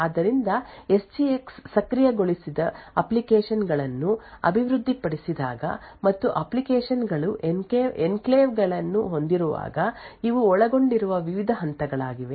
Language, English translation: Kannada, So, these are the various steps involved when applications are developed with SGX enabled and the applications have enclaves